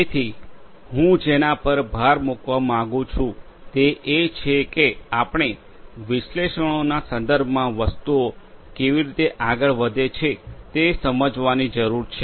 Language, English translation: Gujarati, So, what I would like to emphasize is we need to understand; we need to understand how things go on with respect to the analytics